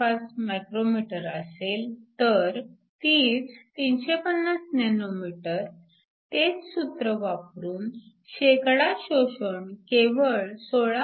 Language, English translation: Marathi, 35 μm, so the same 350 nm the percentage absorbed using the same formula is only 16